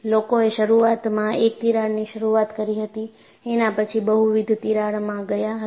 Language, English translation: Gujarati, So, people initially started with one crack, then, they went to multiple cracks